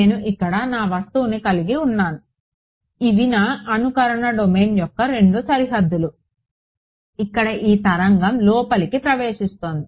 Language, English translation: Telugu, I have my object over here these are the 2 boundaries of my simulation domain fine what is happening is that this wave is entering inside over here